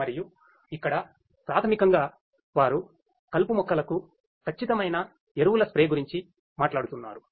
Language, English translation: Telugu, And here basically they are talking about precise fertilizer spray to the weeds